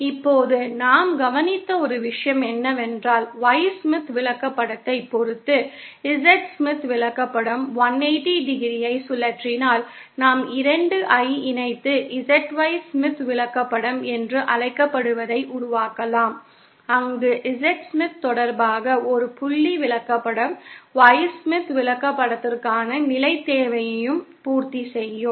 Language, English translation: Tamil, Now, one thing we noticed is that if the Z Smith chart is rotated 180¡ with respect to the Y Smith chart, then we can combine the 2 and form what is called as ZY Smith chart, where a point with respect to the Z Smith chart will also satisfy the position requirement for the Y Smith chart